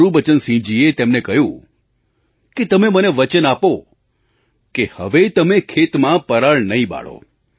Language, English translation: Gujarati, Gurbachan Singh ji asked him to promise that they will not burn parali or stubble in their fields